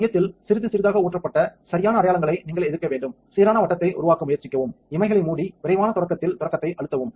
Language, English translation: Tamil, So, you have to resist with the proper markings pour on a little bit in the centre try to make a uniform circle, close the lids and press start on quick start